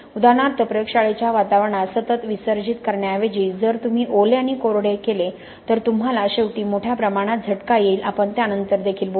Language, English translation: Marathi, For example even in the lab environment instead of continuous immersion if you do wetting and drying you will ultimately get a larger level of attack, we will talk about that later also